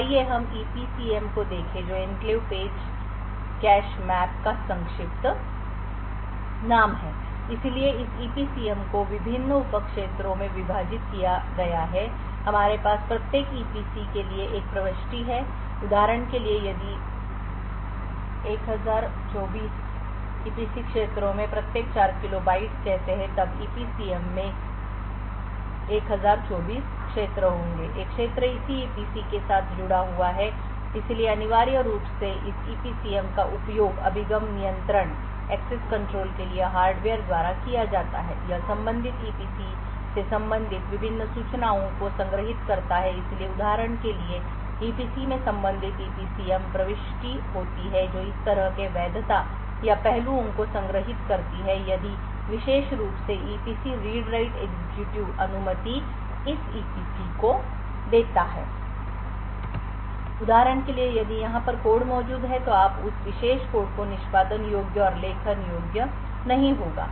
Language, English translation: Hindi, So let us look at the EPCM which is the acronym for Enclave Page Cache Map so this EPCM is further divided into various sub regions and we have one entry for each EPC so for example if there say a 1024 EPC regions each of 4 kilo bytes then there would be 1024 regions in the EPCM, one region is associated with a corresponding EPC so essentially this EPCM is used by the hardware for access control it stores various information related to the corresponding EPC so for example this particular EPC would have a corresponding EPCM entry which stores aspects such as the validity or of that particular EPC the read write execute permissions for this EPC for example if there is code present over here you would have that particular code as executable and not writeable